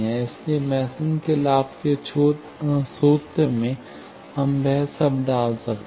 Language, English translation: Hindi, So, in Mason’s gain formula, we can put all that